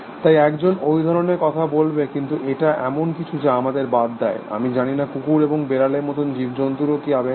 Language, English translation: Bengali, So, one could talk about things like that, but is it something, which is exclusive to us, I do not know, and do creatures like dogs and cats have emotions